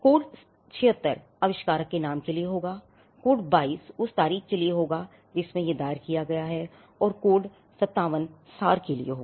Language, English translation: Hindi, So, code 76 will be for the inventor’s name, code 22 will be for the date on which it is filed, then, code 57 will be for the abstract